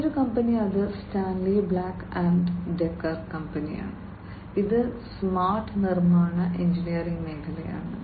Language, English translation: Malayalam, Another company it the Stanley Black and Decker company, it is in the smart construction and engineering sector